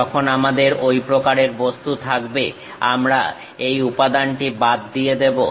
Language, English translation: Bengali, When we have such kind of object we are chopping this material